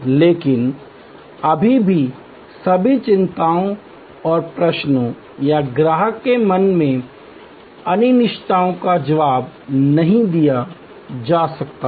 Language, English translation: Hindi, But, still cannot respond to all the anxieties and queries or uncertainties in customer's mind